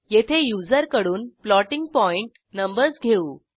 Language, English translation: Marathi, Now here we accept floating point numbers from the user